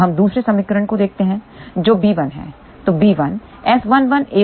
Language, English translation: Hindi, Now let us look at the other equation which is b 1